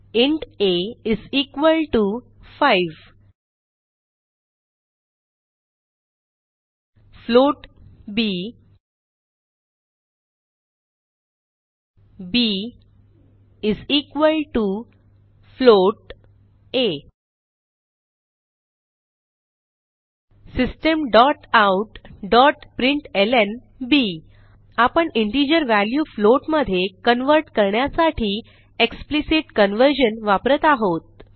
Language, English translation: Marathi, int a =5, float b, b = a System.out.println We are using Explicit conversion to convert integer to a float Save the file and Run it